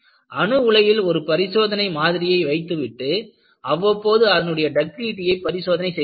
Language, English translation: Tamil, So, what they do is, they keep test specimens in the reactor and take out periodically and tests it is ductility